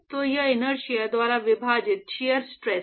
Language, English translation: Hindi, So, it is shear stress divided by inertia